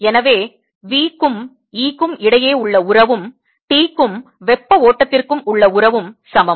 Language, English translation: Tamil, so whatever the relationship is between v and e is the same relationship between t and the heat flow